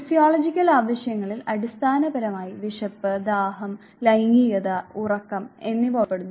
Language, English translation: Malayalam, Physiological needs basically include hunger, thirst, sex and sleep